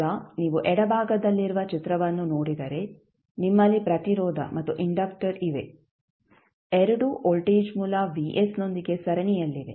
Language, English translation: Kannada, Now, if you see the figure on the left you have 1 r resistance and inductor both are in series with voltage source vf